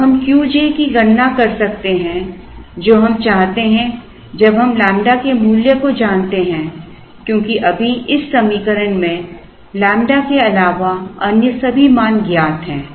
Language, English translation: Hindi, Now, we can compute Q j which is what we want only if we know the value of lambda because right now in this equation all other values other than lambda are known